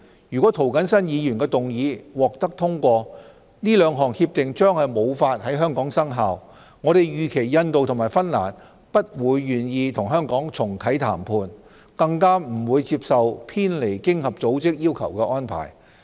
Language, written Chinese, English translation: Cantonese, 如果涂謹申議員動議的議案獲通過，該兩項協定將無法在香港生效，我們預期印度和芬蘭不會願意與香港重啟談判，更不會接受偏離經合組織要求的安排。, If the motions moved by Mr James TO is passed so that the two agreements cannot come into effect in Hong Kong we do not expect that India and Finland would willingly go back to the negotiations table with Hong Kong again let alone accepting any arrangement that deviates from OECDs requirements